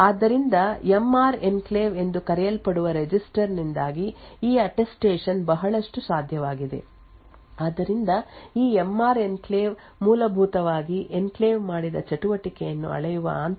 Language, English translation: Kannada, So a lot of this Attestation is possible due to a register known as the MR enclave, so this MR enclave essentially uses a SHA 256 hash of an internal log that measures the activity done by the enclave